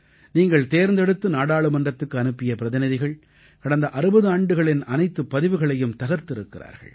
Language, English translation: Tamil, The Parliamentarians that you elected, have broken all the records of the last 60 years